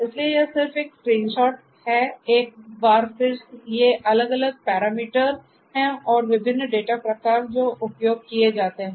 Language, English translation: Hindi, So, so this is just a screenshot once again these are these different; these different parameters and the different data types that are used